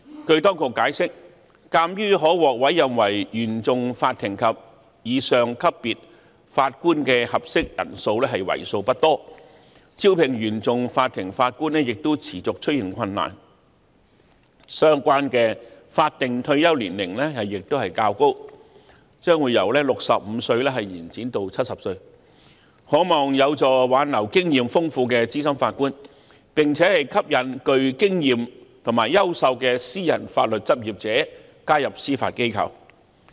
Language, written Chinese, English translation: Cantonese, 據當局解釋，鑒於可獲委任為原訟法庭及以上級別法官的合適人選為數不多，以及招聘原訟法庭法官方面亦持續出現困難，因此相關的法定退休年齡亦較高，將會由65歲延展至70歲，可望有助挽留經驗豐富的資深法官，並且吸引具經驗及優秀的私人法律執業者加入司法機構。, According to the authorities explanation given the small pool of suitable candidates for appointment as Judges at the Court of First Instance CFI level and above and the persistent difficulties in recruiting CFI Judges the relevant statutory retirement age will be set higher ie . from 65 to 70 to hopefully help retain experienced senior judges and attract experienced and quality private legal practitioners to join the Judiciary